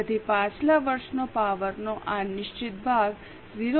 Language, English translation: Gujarati, So, this fixed portion of power last year's figure into 0